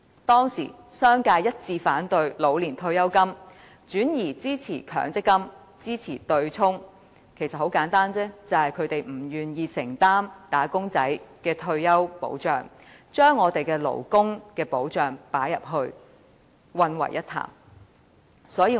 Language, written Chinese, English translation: Cantonese, 當時，商界一致反對老年退休金計劃，轉而支持強積金、支持對沖，理由其實很簡單，他們不願意承擔"打工仔"的退休保障，於是將退休保障與勞工保障混為一談。, Back then the business sector unanimously opposed OPS and supported MPF and the offsetting mechanism . The reason was simple enough . The business sector did not want to shoulder the responsibility of paying retirement protection benefits to employees and hence deliberately mixed up the concepts of retirement protection and labour protection